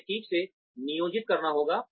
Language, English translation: Hindi, It has to be planned properly